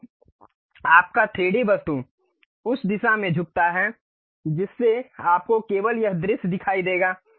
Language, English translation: Hindi, So, your 3D object tilts in that direction, so that you will see only this view